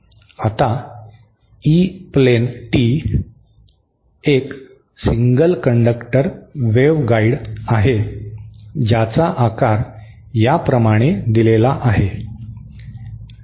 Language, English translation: Marathi, Now, E plane tee is a single conductor waveguide whose shape is given like this